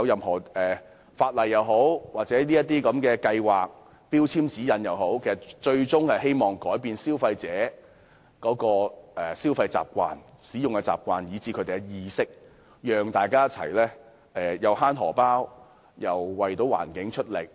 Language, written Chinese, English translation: Cantonese, 相關法例、計劃及標籤指引的最終目的，是改變消費者的消費習慣和使用電器的習慣，並提高他們的節能意識，讓大家省錢之餘，亦可為環境出力。, The ultimate purpose of the relevant legislation plans and labelling guidelines is to change the consumers habits in buying and using electrical appliances and enhance their energy - saving awareness so as to enable them to contribute to the well - being of the environment while saving money